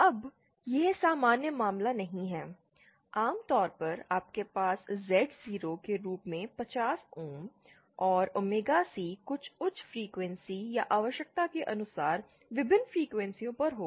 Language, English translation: Hindi, Now, this is not the usual case, usually you will have Z0 as 50 ohms and omega C at some high frequency or various frequencies according to the requirement